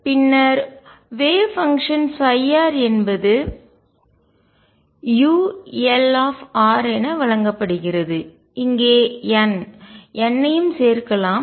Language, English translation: Tamil, And then the wave function psi r is given as u l r let me also include n, n out here